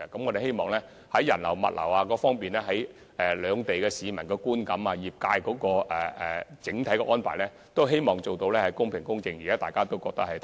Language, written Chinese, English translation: Cantonese, 我們希望在人流和物流、兩地市民的觀感及業界的整體安排等方面，做到公平公正，令大家感到安排妥善。, We hope that a fair and just approach will be adopted in handling visitor flow and freight and that the people of Hong Kong and Macao and members of the trades will find that the overall arrangement to be in order